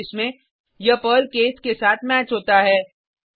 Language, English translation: Hindi, In the first case, it matches with the case Perl